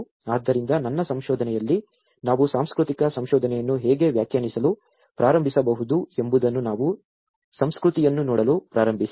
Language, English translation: Kannada, So in my research, we started looking at the culture how we can start defining the cultural research